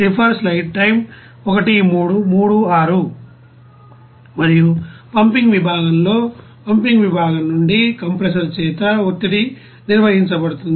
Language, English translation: Telugu, And in the pumping section, the pressure is maintained by the compressor from the pumping section